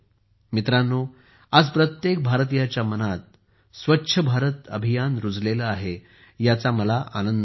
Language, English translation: Marathi, Friends, I am happy that the 'Swachh Bharat Mission' has become firmly rooted in the mind of every Indian today